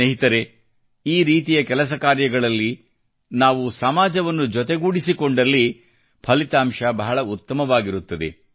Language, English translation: Kannada, Friends, in Endeavour's of thesekinds, if we involve the society,great results accrue